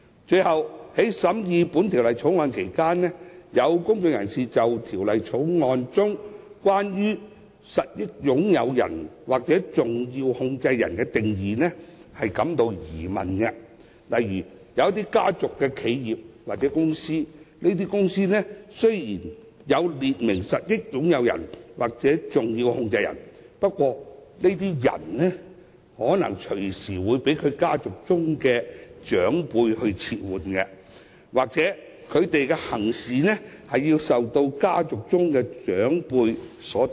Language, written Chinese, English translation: Cantonese, 最後，在審議《條例草案》期間，有公眾人士對《條例草案》中有關實益擁有人或重要控制人的定義存疑，例如一些家族企業或公司雖已列明實益擁有人或重要控制人，但這些人卻可能隨時會被其家族的長輩撤換，又或是他們的言行會受家族的長輩左右。, Finally during the scrutiny of the Bill some members of the public raised doubts about the definition of a beneficial owner or a significant controller as specified in the Bill . In the case of family - owned enterprises or companies although the beneficial owners or significant controllers of the company have been specified they can be replaced at any time by elders of a clan or their words and deeds may be influenced by elders of a clan